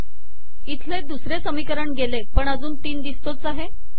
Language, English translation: Marathi, This equation 2 is gone, but you still have this three